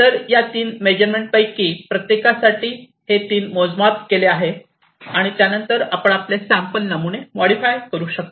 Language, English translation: Marathi, So, these three measurements are done for each of these samples and on top of that you can now modify your samples